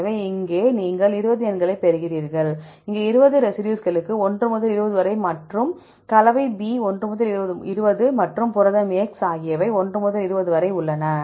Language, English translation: Tamil, So, here you get 20 numbers, we are here, 1 to 20 per 20 residues and composition B, 1 to 20 and protein x also we have 1 to 20